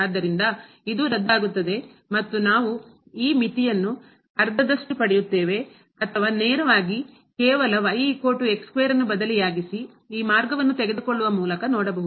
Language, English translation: Kannada, So, this will get cancel and we will get this limit half or directly one can see just substituting is equal to square there taking this path